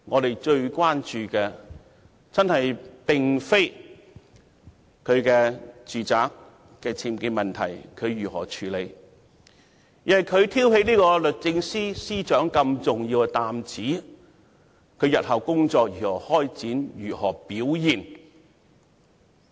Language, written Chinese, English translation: Cantonese, 市民最關注的並非她如何處理其住宅僭建問題，而是她挑起律政司司長這重要擔子，她日後的工作如何開展、如何表現。, The prime concern of the public is not how she deals with the UBWs in her home but how she is going to take forward her work and perform her duties in the future in her important capacity as the Secretary for Justice